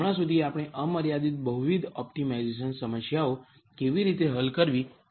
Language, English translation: Gujarati, Till now we saw how to solve unconstrained multivariate optimization problems